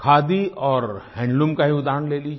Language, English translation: Hindi, Take the examples of Khadi and handloom